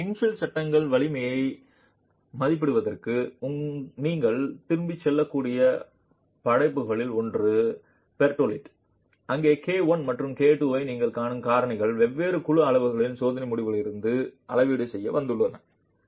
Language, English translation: Tamil, So, one of the works that you could go back to to estimate strength of the infill panel is by Pertaldi where the factors that you see K1 and K2 have been arrived at calibrated from experimental results of different panel sizes